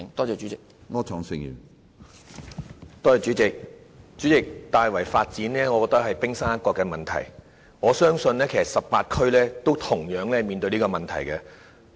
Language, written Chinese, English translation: Cantonese, 主席，我認為大圍的發展只是冰山一角的問題，我相信18區均面對同樣問題。, President I think the development of Tai Wai is only the tip of the iceberg and I believe all 18 districts are facing the same problem